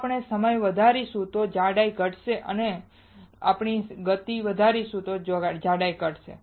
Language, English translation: Gujarati, If we increase the time the thickness will decrease and if we increase the speed the thickness will decrease